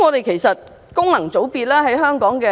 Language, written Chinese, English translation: Cantonese, 其實民主並不可怕......, In fact democracy is nothing terrible